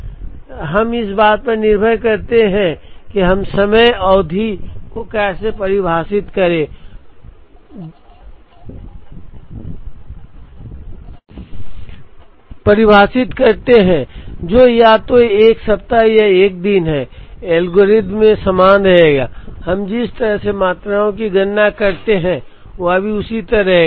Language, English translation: Hindi, So, depending on how we define the time period, which is either a week or a day, the algorithm will remain the same and the way we compute the quantities will also remain the same